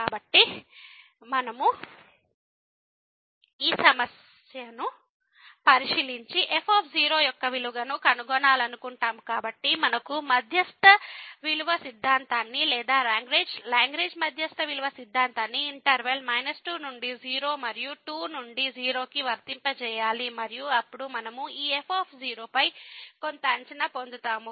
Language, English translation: Telugu, So, if we take a look at this problem and we want to find the value of , so, we need to apply the mean value theorem or Lagrange mean value theorem in the interval minus 2 to and to and then we will get some estimate on this